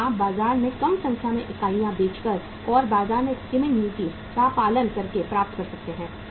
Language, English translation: Hindi, That you can achieve by selling lesser number of units in the market and by following the market skimming policy